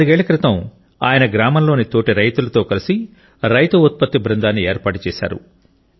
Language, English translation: Telugu, Four years ago, he, along with fellow farmers of his village, formed a Farmer Producer's Organization